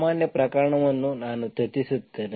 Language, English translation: Kannada, General case I will discuss